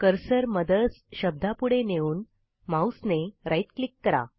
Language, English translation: Marathi, Now place the cursor after the word MOTHERS and right click on the mouse